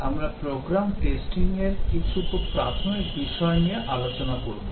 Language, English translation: Bengali, Over 20 half an hour slots, we will discuss some very basic issues on program testing